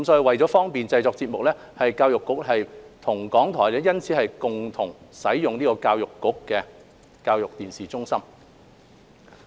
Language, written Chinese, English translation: Cantonese, 為方便節目製作，教育局與港台因此共用局方的教育電視中心。, To facilitate programme production the Education Bureau has thus shared the use of its ETC with RTHK